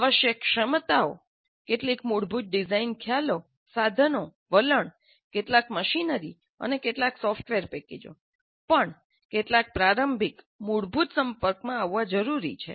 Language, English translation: Gujarati, The competencies required, some basic design concepts, tools, attitude, even some machinery and some software packages, some elementary exposure, basic exposure would be required